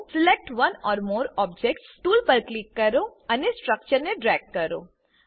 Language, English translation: Gujarati, Click on Select one or more objects tool and drag the structures